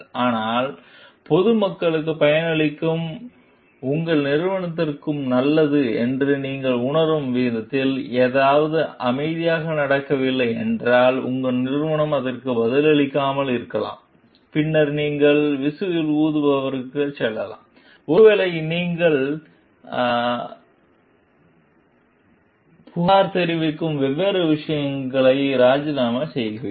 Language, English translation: Tamil, But, if something is not happening quietly in the in the way that you feel like which is good for the public at large, the beneficiaries at large, and your company is maybe in unresponsive to it, then you are you may be going for whistle blowing, and maybe or you are resigning the different you are complaining